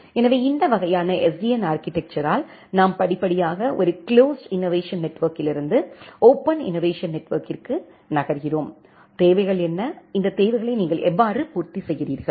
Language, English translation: Tamil, So, the question comes that with this kind of SDN architecture, where we are gradually moving from a closed innovation network to a open innovation network, what are the requirements and how will you fulfill those requirements